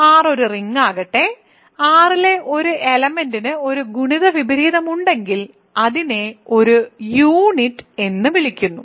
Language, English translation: Malayalam, So, let R be a ring, an element a in R is called a unit if it has a multiplicative inverse ok, so, that is all